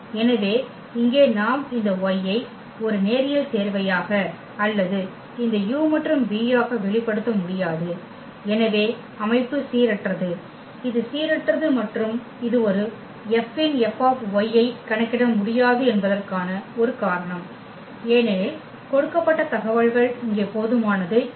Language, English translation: Tamil, So, here we cannot express this y as a linear combination or this u and v and therefore, the system is inconsistence, it is inconsistent and this as a reason that we cannot we cannot compute this F of F of y because the information given is not sufficient here